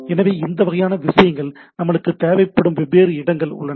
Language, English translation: Tamil, So, there are different places where we need this type of things